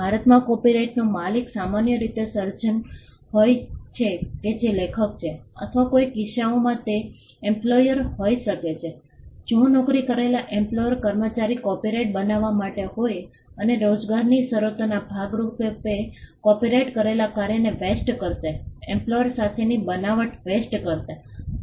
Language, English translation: Gujarati, In India the owner of the copyright is usually the creator that is the author or in some cases it could be the employer, if the employer as employed is employees to create the copyright and as a part of the terms of employment the copyrighted work would vest with the employer the creation would vest with the employer